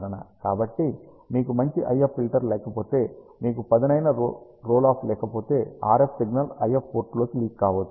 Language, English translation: Telugu, So, if you do not have a good IF filter, if you do not have a sharp rule of, the RF signal might leak into the IF port